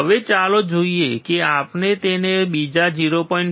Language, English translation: Gujarati, Now, let us see if we increase it by another 0